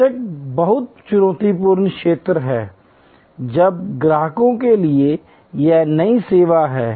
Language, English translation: Hindi, The very challenging area of course, is this new service for new customers